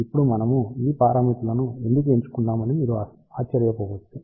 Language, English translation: Telugu, Now, you might wonder why we have chosen these parameters